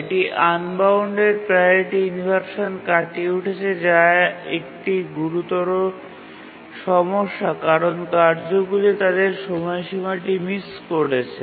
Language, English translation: Bengali, It does overcome the unbounded priority inversion problem which is a severe problem can cause tasks to miss their deadline